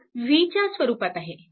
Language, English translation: Marathi, So, this is actually v by 4